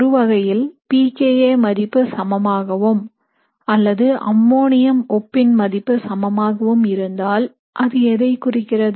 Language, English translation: Tamil, So if you have the case where the pKa of this amine is equal to or this ammonium salt is equal to, so what does that tell you